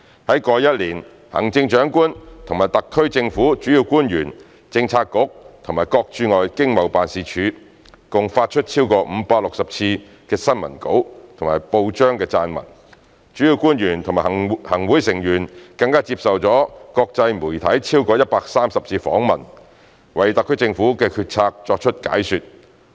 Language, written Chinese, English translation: Cantonese, 在過去一年，行政長官和特區政府主要官員、政策局及各駐外經濟貿易辦事處共發出超過560次的新聞稿及報章撰文，主要官員及行會成員更接受國際媒體超過130次訪問，為特區政府的決策作出解說。, In the past year over 560 press releases and newspaper articles by the Chief Executive and the principal officials of the SAR Government Policy Bureaux and Hong Kong Economic and Trade Offices ETOs were issued while more than 130 interviews were given to the international media by principal officials and Members of the Executive Council to elaborate on matters relating to the SAR Governments policy - making